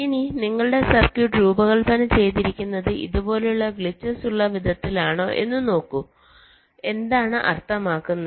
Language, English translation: Malayalam, if your circuit has been designed in such a way that there are glitches like this, what does that mean